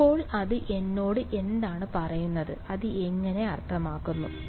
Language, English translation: Malayalam, So, what does that tell me, how what does it mean